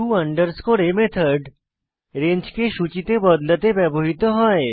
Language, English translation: Bengali, Here to a method is used to convert a range to a list